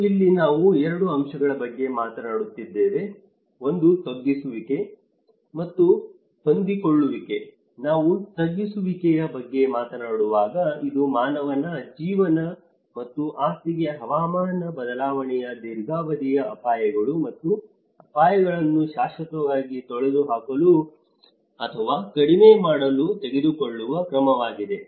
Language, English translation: Kannada, And this is where now we are talking about 2 aspects; one is the mitigation, and adaptation when we talk about mitigation, it is any action taken to permanently eliminate or reduce the long term risks and hazards of climate change to human life and property